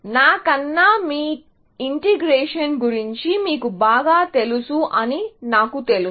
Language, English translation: Telugu, I am sure that you people are more familiar with integration than I am